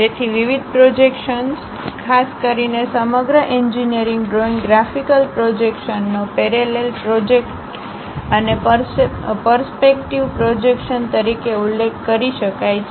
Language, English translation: Gujarati, So, the different projections, typically the entire engineering drawing graphical projections can be mentioned as parallel projections and perspective projections